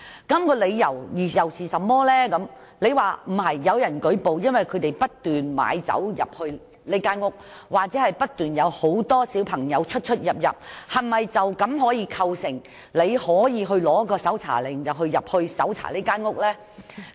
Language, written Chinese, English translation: Cantonese, 如果只是有人舉報，指不斷有人買酒進入該單位，又或不斷有很多青少年進出該單位，是否便可構成申請搜查令入屋搜查的理由？, If a report is received alleging that many people were seen bringing along alcohol and entering a domestic premise or a large number of youngsters were seen entering and leaving the premise constantly would this constitute a reason for applying a search warrant to enter and search the domestic premise?